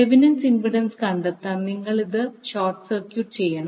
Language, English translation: Malayalam, To find out the Thevenin impedance you will short circuit this